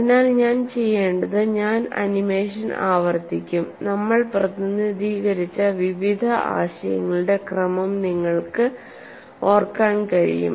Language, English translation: Malayalam, So, what I would do is, I would repeat the animation and you can recapture the various sequence of ideas that we have represented